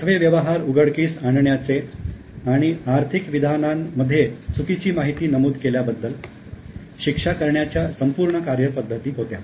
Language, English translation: Marathi, There was a full process for discovering fraudulent transactions and punishing the accountants for mistrating financial statements